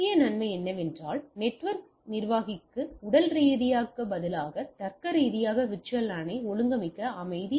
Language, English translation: Tamil, So, key benefit is that a permit the network administrator to organize LAN logically instead of physically